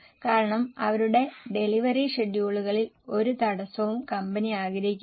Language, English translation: Malayalam, Because company does not want any disturbance in their delivery schedules